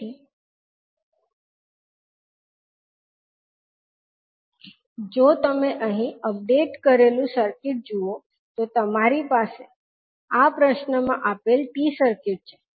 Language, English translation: Gujarati, So, if you see the updated circuit here you have the T circuit of the, T circuit given in the question